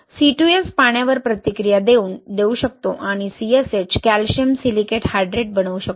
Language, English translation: Marathi, Now as you all know that C2S can react with water and form CSH, right, calcium silicate hydrate